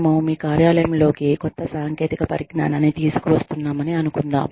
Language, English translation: Telugu, Let us assume, that we are bringing in, a new technology into your office